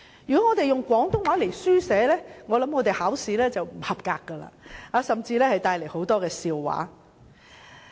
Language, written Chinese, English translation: Cantonese, 如果以廣東話書寫，考試便會不合格，甚至惹起很多笑話。, If we write in Cantonese we will fail in examinations and even bring about many jokes